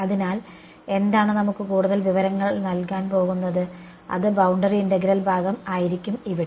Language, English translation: Malayalam, So, but what will what is going to give us the additional information is going to be the boundary integral part over here ok